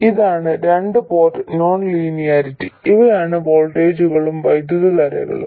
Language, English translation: Malayalam, This is a two port non linearity and these are the voltages and currents